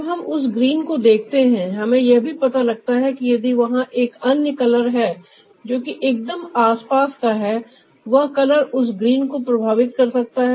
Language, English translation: Hindi, when we look at that green, we also find out that if there is another color ah which is ah just somewhere nearby, that color can influence that green